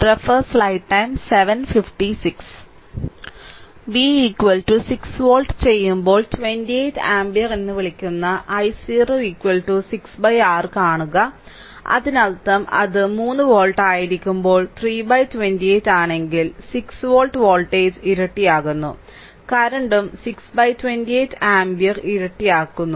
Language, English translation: Malayalam, When a v is equal to 6 volt, you see i 0 is equal to 6 by your what you call 28 ampere right so; that means, when it is 3 volt it is 3 by 28 when it is 6 volts voltage is doubled, current also doubled 6 by 28 ampere